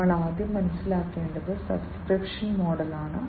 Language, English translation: Malayalam, The first one that we should understand is the subscription model